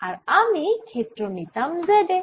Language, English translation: Bengali, then i would take field at hight z